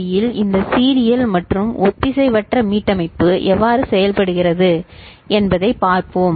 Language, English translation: Tamil, So, let us see how this serial in and asynchronous reset work in this particular IC